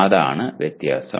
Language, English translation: Malayalam, That is the difference